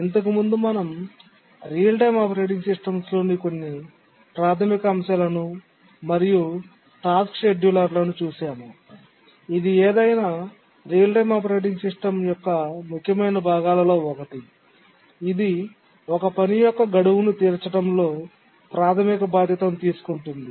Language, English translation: Telugu, So, so far we had looked at some basic concepts in real time operating systems and then we had said that the scheduler, task scheduler is actually the most important part of any real time operating system because it is the one which takes the primary responsibility in meeting a task's deadline